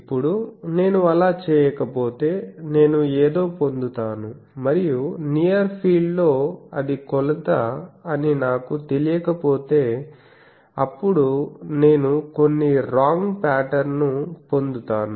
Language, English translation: Telugu, Now, if I do not do that I will get something and if I am not aware that it is measurement has been taken in the near field; then I will get some wrong pattern